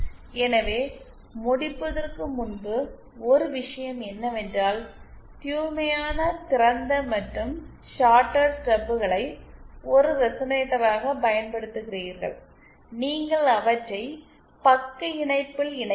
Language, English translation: Tamil, So one thing before ending I want to to impress upon you is that if you are using open or shorted Stubs as a resonator, just pure open and shorted stubs as a resonator, then you have to connect them in shunt